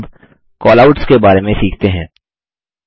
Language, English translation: Hindi, Now, lets learn about Callouts